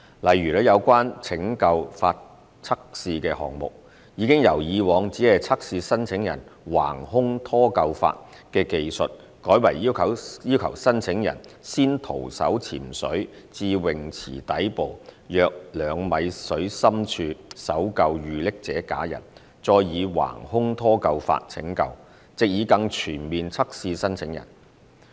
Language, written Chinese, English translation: Cantonese, 例如，有關拯救法測試的項目，已由以往只測試申請人橫胸拖救法的技術，改為要求申請人先徒手潛水至泳池底部約2米水深處搜救遇溺者假人，再以橫胸拖救法拯救，藉以更全面測試申請人。, For instance while candidates were only required to perform cross chest tow in previous rescue tests candidates will be required in the new round of recruitment exercise to skin dive to the pool bottom at a depth of approximately two metres to search for a drowning manikin and then save it using cross chest tow in order to have a more comprehensive assessment of the candidates